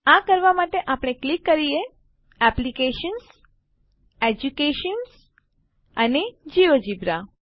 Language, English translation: Gujarati, To do this let us click on applications, Education and Geogebra